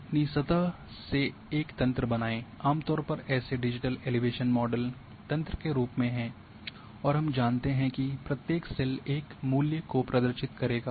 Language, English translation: Hindi, Grid your surface generally that like digital elevation model are in form of grid and we know that each cell will represent a value